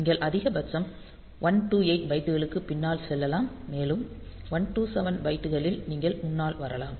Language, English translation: Tamil, So, you can go back maximum 128 bytes and you can come forward at most 127 bytes